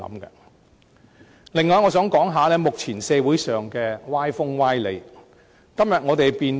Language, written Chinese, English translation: Cantonese, 此外，我想談談目前社會上的歪風、歪理。, Moreover I would also like to say a few words about some unhealthy trends and sophistries in society nowadays